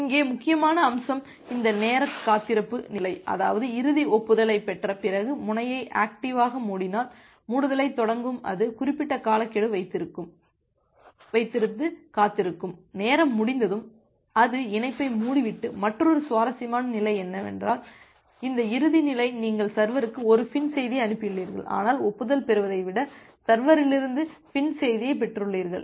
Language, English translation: Tamil, The important aspect here is this time wait state that means, after getting the final acknowledgement, in case of the active close the node which is initiating the closure it will wait for certain timeout duration and once the timeout occurs then only it will close the connection and another interesting state is this closing state where you have sent a FIN message to the server, but rather than getting an acknowledgement, you have received the FIN message from the server